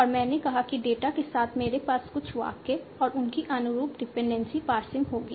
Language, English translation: Hindi, And I said with the data I will have some sentences and there corresponding dependency passage